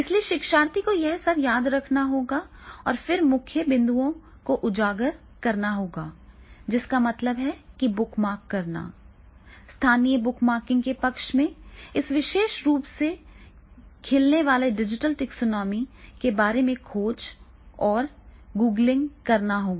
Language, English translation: Hindi, So therefore the learner that he has to remember all this and then by the bullet point highlighting, that means the bookmarking mechanism, favouring a local bookmarking’s and searching and googling that will be done in the case of this particular blooms digital taxonomy